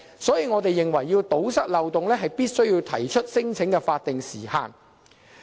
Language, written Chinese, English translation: Cantonese, 所以，我們認為，如果要堵塞漏洞，必須要規定提出聲請的法定時限。, So we believe that we must set a statutory time limit for lodging non - refoulement claims in order to close the loopholes